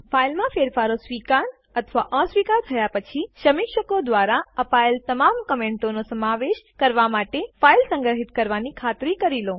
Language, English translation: Gujarati, Please be sure to save the file after accepting or rejecting changes to incorporate all comments given by the reviewers